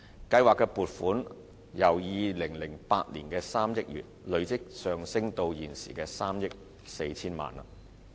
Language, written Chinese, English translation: Cantonese, 計劃的撥款由2008年的3億元累積上升至現時的3億 4,000 萬元。, The provision for the scheme has registered a cumulative increase from 300 million in 2008 to the current amount of 340 million